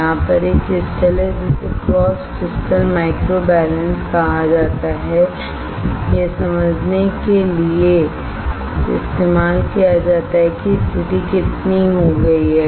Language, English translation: Hindi, There is a crystal over here which is called cross crystal microbalance used to understand how much the position has been done